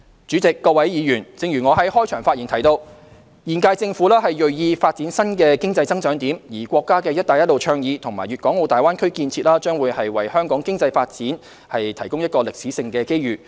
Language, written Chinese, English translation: Cantonese, 主席、各位議員，我在開場發言提到，現屆政府銳意發展新的經濟增長點，而國家的"一帶一路"倡議和大灣區建設將會為香港經濟發展提供一個歷史性機遇。, President Honourable Members I mentioned in my opening speech that the current - term Government is keen to develop new points of economic growth and the Belt and Road Initiative of the State and the construction of the Greater Bay Area will provide a historic opportunity for Hong Kongs economic development